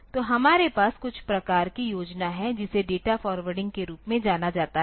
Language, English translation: Hindi, So, we have to have some sort of scheme which is known as data forwarding